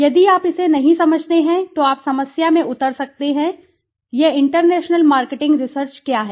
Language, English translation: Hindi, If you do not understand this then you may land up into problem right so what is this international marketing research